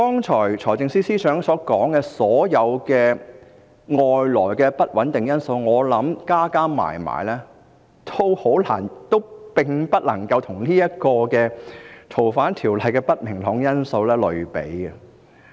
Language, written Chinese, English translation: Cantonese, 財政司司長剛才提及的所有外在的不穩定因素，我想全部加起來也不能與這項條例草案所帶來的不明朗因素相比。, I think even if all the external factors of instability mentioned by the Financial Secretary earlier are added together they still cannot be compared to the uncertainties brought about by this Bill